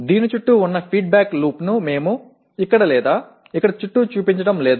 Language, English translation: Telugu, We are not showing the feedback loop around this to here or around this to here